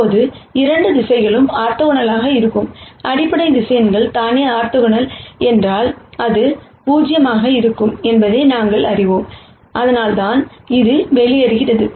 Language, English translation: Tamil, Now if these 2 directions are orthogonal the basis vectors themselves are orthogonal, then we know that this will be 0, that is the reason why this term drops out